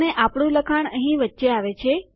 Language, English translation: Gujarati, And our text goes in between here